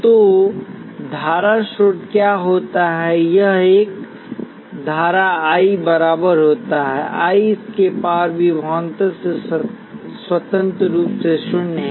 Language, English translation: Hindi, So what does the current source do it maintains a current I equals I naught independently of the voltage across it